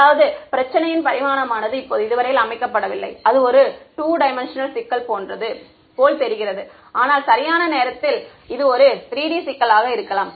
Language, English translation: Tamil, I mean the dimensionality of the problem has not yet been set right now this looks like a 2D problem, but at right I mean it could be a 3D problem